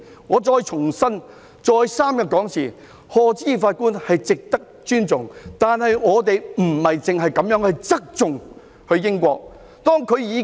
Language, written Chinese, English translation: Cantonese, 我再三強調，賀知義法官是值得尊重的，但政府不應只側重英國的法官。, Let me reiterate that Lord Patrick HODGE deserves our respect but the Government should not favour judges from the United Kingdom only